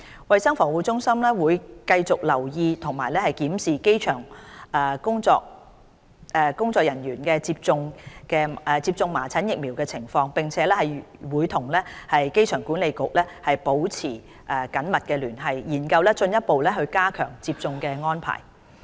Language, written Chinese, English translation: Cantonese, 衞生防護中心會繼續留意及檢視機場員工接種麻疹疫苗的情況，並會與機管局保持密切聯繫，研究進一步加強接種的安排。, CHP will closely monitor and review the situation of measles vaccination for people working at the airport . CHP will also continue to closely liaise with AA to explore ways to further enhance the vaccination arrangements